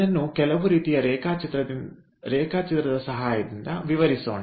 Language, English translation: Kannada, so let us explain this with the help of some sort of diagram